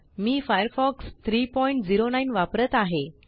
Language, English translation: Marathi, I am using Firefox 3.09